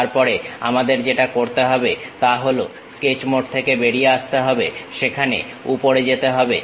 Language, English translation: Bengali, Then what we have to do is, come out of Sketch mode, go there top